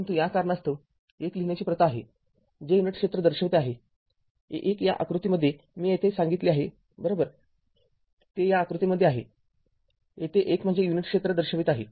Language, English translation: Marathi, But to this reason, it is customary to write 1 denoting unit area, 1 that figure I told you here right, it is in this figure here I told you that it is 1 means it is denoting your unit area